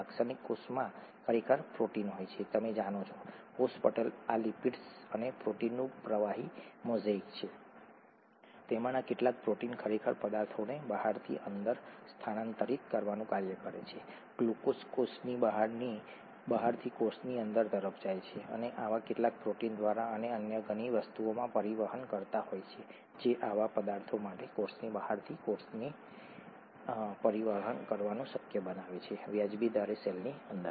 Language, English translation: Gujarati, In a typical cell, there are actually proteins, you know the, cell membrane is fluid mosaic of these lipids and proteins, some of those proteins actually function to transfer substances from the outside to the inside, glucose goes from outside the cell to the inside of the cell, through some such proteins and many other things have transporters that make it possible for such substances to move from the outside of the cell to the inside of the cell at reasonable rates